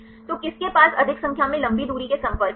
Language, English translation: Hindi, So, which one has more number of long range contacts